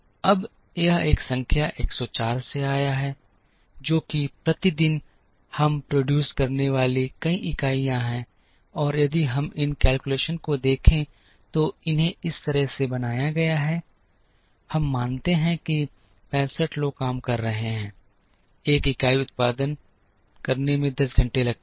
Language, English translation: Hindi, Now, that came from a number 104 which is a number of units that we produce per day, and if we look at these calculations, these are made out of this we assume that 65 people are working it takes 10 hours to produce one unit